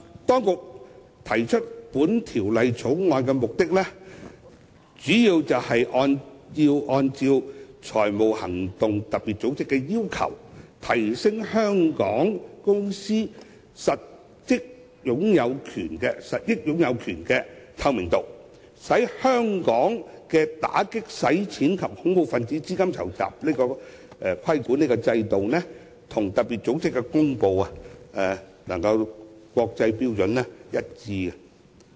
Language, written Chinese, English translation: Cantonese, 當局提出《條例草案》的目的，主要是按照特別組織的要求，提升香港公司實益擁有權的透明度，使香港的打擊洗錢及恐怖分子資金籌集規管制度與特別組織公布的國際標準一致。, The authorities introduce the Bill mainly for the purpose of implementing FATF requirements on enhancing the transparency of beneficial ownership of companies incorporated in Hong Kong thereby aligning Hong Kongs anti - money laundering and counter - terrorist regulatory regime with international standards as promulgated by FATF